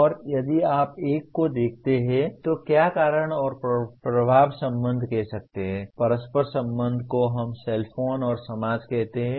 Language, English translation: Hindi, And if you look at one can trace the, what do you call the cause and effect relationship, interchangeable relationship between let us say cellphone and society